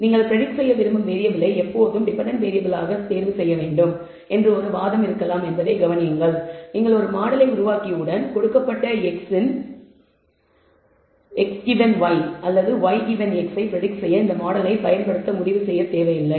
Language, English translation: Tamil, Notice there might be an argument saying that you know you should always choose the variable which you wish to predict as the dependent variable, need not once you build a model you can always decide to use this model for predict ing x given y or y given x